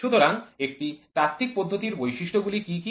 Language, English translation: Bengali, So, what are the features of a theoretical method